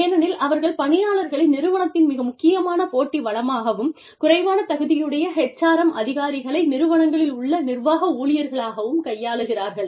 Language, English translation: Tamil, Because, they manage employees as, organization's most important competitive resource, and the low status HRM professionals, actually received as administrative staff, in companies